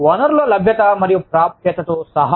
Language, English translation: Telugu, Including availability of and access to resources